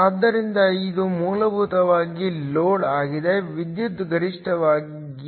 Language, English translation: Kannada, So, this is essentially the load at which, the power is maximum